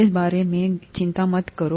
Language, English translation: Hindi, Don’t worry about this